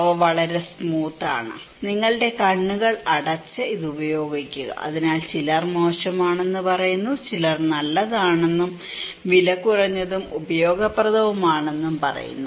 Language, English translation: Malayalam, They are very smooth, close your eyes and use it, so some say damn good, some says it is damn good, good and it is cheap and useful